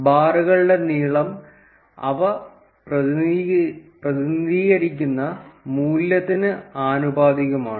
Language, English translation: Malayalam, The length of the bars is proportional to the value that they represent